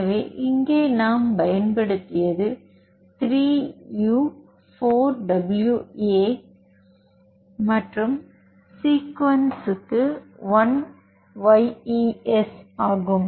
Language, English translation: Tamil, So, here what we used is 3 u 4 w a and for sequence that is target that is 1YES